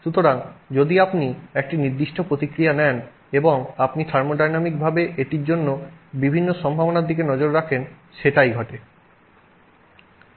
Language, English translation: Bengali, So, if you take a particular reaction and you look at the different possibilities that are there for it